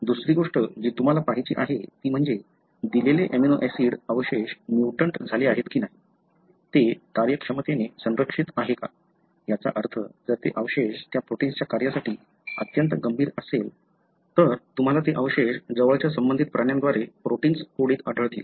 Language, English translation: Marathi, The second thing you want to look at is, whether a given amino acid residue that is mutated, is it functionally conserved, meaning if that residue is very very critical for that protein function, then you would find that residue to be present inthe proteins coded by the closely related animals